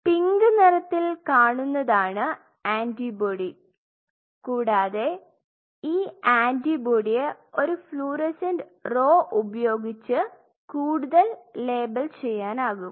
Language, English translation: Malayalam, So, the pink color is showing the antibody and if this antibody is further labeled with a fluorescent row